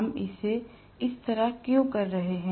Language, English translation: Hindi, Why are we having it this way